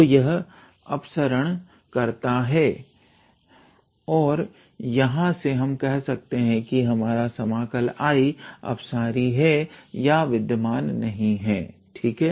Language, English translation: Hindi, So, it diverges and from here we can say that our integral I is divergent or does not exists, all right